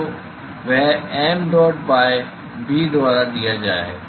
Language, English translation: Hindi, So, that is given by mdot by